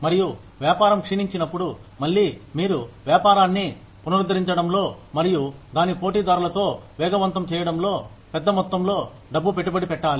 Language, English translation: Telugu, And, when the business is on a decline, then again, you will have to invest, a large amount of money, in reviving the business, and bringing it up to speed with its competitors